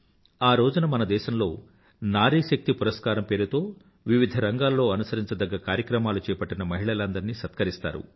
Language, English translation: Telugu, On this day, women are also felicitated with 'Nari Shakti Puraskar' who have performed exemplary tasks in different sectors in the past